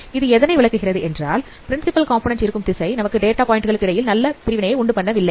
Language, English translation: Tamil, And as it so this shows that the principal component, direction of the principal component is not really providing you the good separations between data points